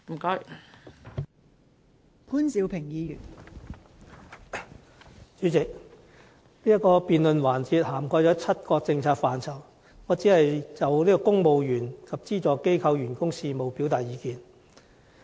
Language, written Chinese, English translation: Cantonese, 代理主席，這個辯論環節涵蓋了7個政策範疇，我只會就公務員及資助機構員工事務表達意見。, Deputy President this debate session covers seven policy areas but I am going to speak on Public Service only